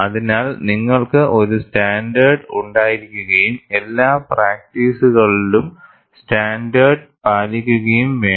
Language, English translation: Malayalam, So, you need to have a standard and adhere to the standard in all the practices